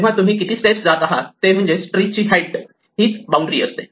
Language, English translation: Marathi, So, the number of steps you walk up will be bounded by the height of the tree